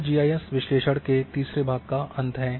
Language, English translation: Hindi, So, this brings the end of third part of GIS analysis